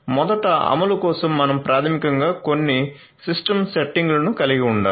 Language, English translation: Telugu, So, first of all we need to so for implementation first we need to basically have certain system settings